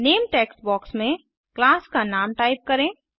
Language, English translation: Hindi, In the Name text box, type the name of the class